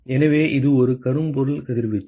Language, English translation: Tamil, So, it is a blackbody radiation